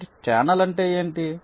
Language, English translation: Telugu, so what is a channel